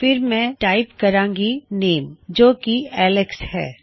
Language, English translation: Punjabi, Then Ill type my name is Alex